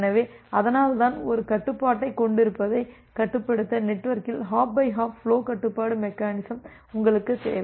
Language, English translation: Tamil, So, that is why to make it control to have a control, you need hop by hop flow control mechanism in the network